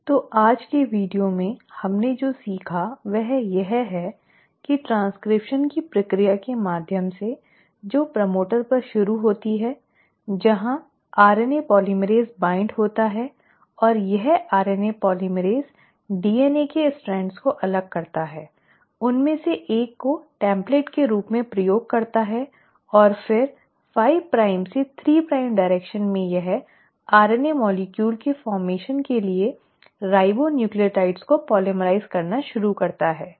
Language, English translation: Hindi, So in today’s video what we have learnt is that through the process of transcription which starts at the promoter, where the RNA polymerase binds, and this RNA polymerase separates the strands of the DNA, uses one of them as a template and then from a 5 prime to 3 prime direction it starts polymerising the ribonucleotides leading to formation of an RNA molecule